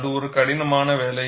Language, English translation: Tamil, That is a arduous task